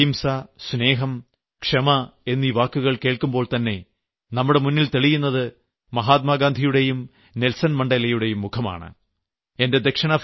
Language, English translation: Malayalam, Whenever we hear the words nonviolence, love and forgiveness, the inspiring faces of Gandhi and Mandela appear before us